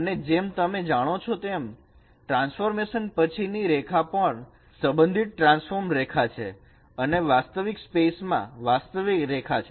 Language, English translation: Gujarati, And as you know that the line after transformation also they are related, transformed line and the original line in the original space they are related by this